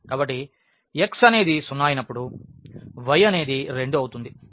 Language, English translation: Telugu, So, when x is 0 the y is 2